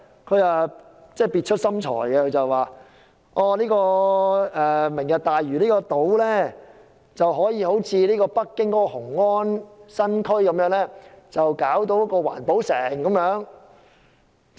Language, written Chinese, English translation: Cantonese, 他相當別出心裁，表示可以將"明日大嶼"人工島建設成像北京雄安新區一個環保城。, He has an ingenious idea saying that the artificial islands under Lantau Tomorrow can be built into a green city just like Weian New District in Beijing